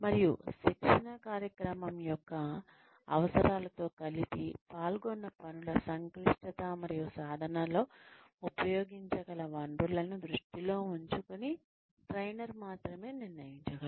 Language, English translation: Telugu, And, only the trainer can decide that, in conjunction, with the needs of the training program, in conjunction, in light of the complexity of the tasks involved, and the resources, that may be used, in practicing